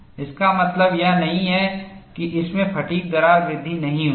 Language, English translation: Hindi, That does not mean fatigue crack growth has not occurred in that